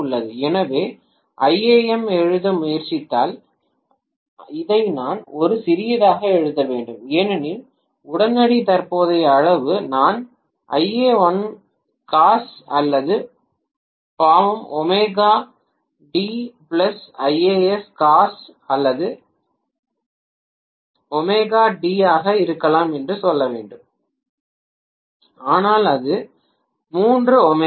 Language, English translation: Tamil, So if I try to write iam, I should write that actually as rather I should write this a small iam because instantaneous current magnitude, I should say ia1 maybe cos or sin omega t plus ia3 cos or sin omega t, but that is 3 omega t